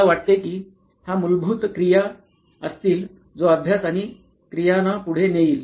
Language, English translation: Marathi, I think this would be the basic activity that would be preceeding the study and activity